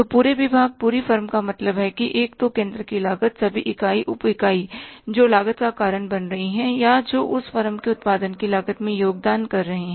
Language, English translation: Hindi, So, whole department, whole firm means cost center all the units subunits which are causing the cost or which are contributing towards the cost of the production of the firm that is one